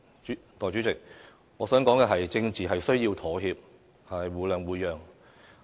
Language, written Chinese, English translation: Cantonese, 代理主席，我想說，政治是需要妥協、互諒互讓的。, Deputy President what I wish to say is that politics require compromise mutual understanding and concession